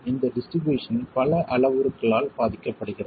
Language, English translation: Tamil, And this distribution is affected by several parameters